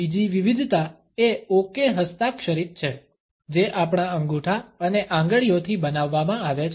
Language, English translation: Gujarati, Another variation is the ‘okay’ signed, which is made with our thumb and fingers